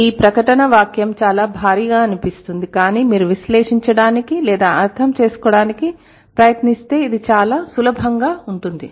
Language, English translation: Telugu, It sounds so heavy this statement but then if you try to analyze, if you try to understand, it's actually very simple